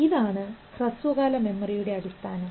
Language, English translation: Malayalam, That is the basis of short term memory